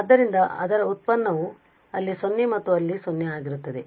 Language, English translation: Kannada, So, its derivative is going to be 0 there and also 0 there